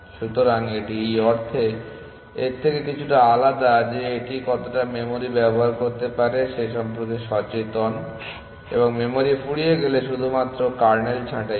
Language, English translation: Bengali, So, it is a little bit different from this in that sense that its aware of how much memory it can use and only prunes kernel when it is running out of memory